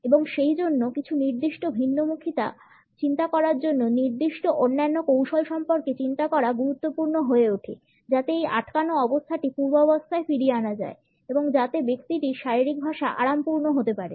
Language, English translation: Bengali, And therefore, it becomes important to think of his certain other strategy to think for certain type of a diversion so that this clamped position can be undone and the person can be relaxed in body language